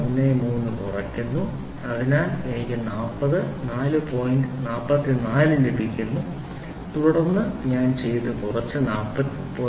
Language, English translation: Malayalam, 130 so, I get 40 four point 44 point then what I do is I subtract, 4